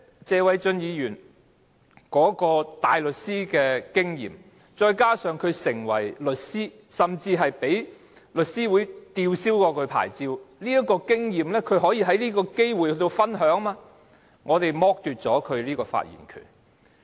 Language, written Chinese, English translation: Cantonese, 謝偉俊議員當大律師，並在轉業為律師後曾被香港律師會吊銷牌照的經驗，本應可藉此機會與大家分享，但他的發言權卻被剝奪。, Mr Paul TSE formerly a barrister had been suspended from practice by The Law Society of Hong Kong after becoming a solicitor should have taken this opportunity to share his experience with us but his right to speak has been deprived of